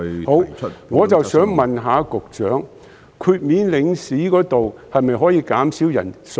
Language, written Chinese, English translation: Cantonese, 好的，我想問局長，領事豁免方面可否縮減人數？, Okay . I would like to ask the Secretary Can the number of exemption quotas granted to consular bodies be reduced?